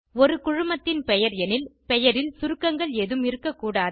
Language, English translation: Tamil, In case of a Company, the name shouldnt contain any abbreviations